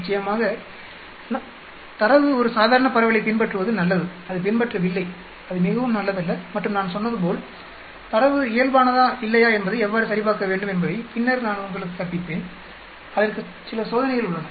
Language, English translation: Tamil, Of course, it is good that the data follows a normal distribution, it is not following then it is not very good and as I said I will teach you how to check whether the data is normal or non normal later on there are some test for that